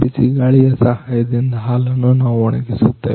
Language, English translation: Kannada, With help of the hot air we dry them milk